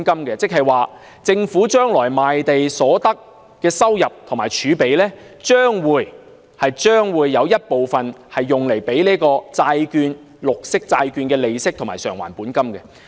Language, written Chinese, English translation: Cantonese, 即是說，將來政府賣地所得的收入和儲備，將會有一部分用作支付綠色債券的利息和償還本金。, That is to say part of the proceeds from land sale and reserves of the Government will be used for payment of interest and repayment of principal for green bonds in the future